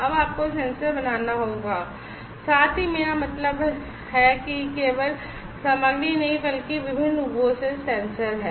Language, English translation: Hindi, Now, you will have to make the sensor as well I mean this is not only the material, but sensor in different forms